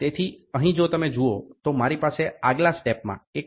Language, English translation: Gujarati, So, here if you see here I have choice of 1